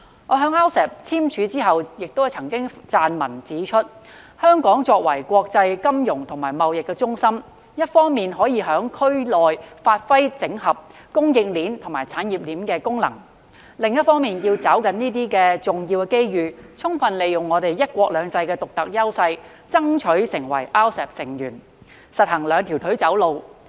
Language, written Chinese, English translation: Cantonese, 我在 RCEP 簽署後亦曾撰文指出，香港作為國際金融與貿易中心，一方面可以在區內發揮整合供應鏈與產業鏈的功能；另一方面要抓緊重要機遇，充分利用"一國兩制"的獨特優勢，爭取成為 RCEP 成員，實行兩條腿走路。, After the signing of RCEP I have written an article pointing out that Hong Kong as an international financial and trade centre plays a role in integrating the supply and industrial chains in the region on the one hand while on the other hand can seize the important opportunity to fully leverage the unique advantage under one country two systems and strive to become a member of RCEP so as to walk on two legs